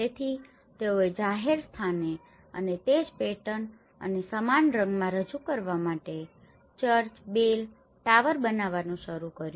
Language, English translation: Gujarati, So, they started building a church bell tower to represent a public place and in the same pattern and the same colour